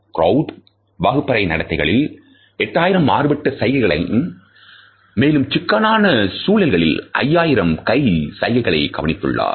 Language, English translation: Tamil, Krout is observed almost 8,000 distinct gestures in classroom behavior and 5,000 hand gestures in critical situations